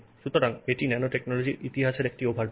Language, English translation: Bengali, So, that's the overview of the history of nanotechnology